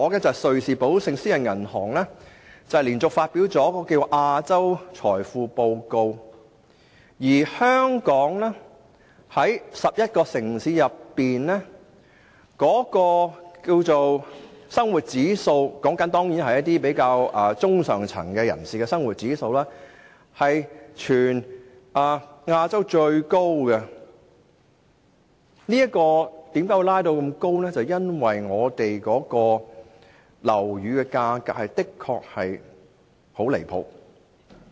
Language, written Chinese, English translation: Cantonese, 昨天瑞士寶盛私人銀行發表了《財富報告：亞洲》，當中指出在11個城市中，香港的生活指數——當然是指中上層人士的生活指數——冠絕亞洲城市。我們的生活指數之所以這麼高，是因為樓宇價格的確很離譜。, Yesterday Julius Baer a Swiss private bank released the Wealth Report Asia highlighting that Hong Kongs lifestyle index―certainly refers to that of the middle to upper class―is the highest among 11 Asian cities and our high lifestyle index is attributable to the exorbitant property prices